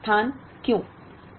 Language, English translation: Hindi, The only place, why